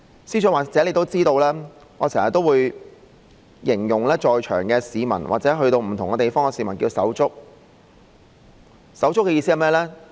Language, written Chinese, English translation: Cantonese, 司長或許也知道，我經常形容在場的市民或到不同地方遇到的市民為"手足"，手足的意思是甚麼？, The Secretary may also notice that I often refer to citizens at the scene or citizens I meet in different places as buddies . What does buddies mean?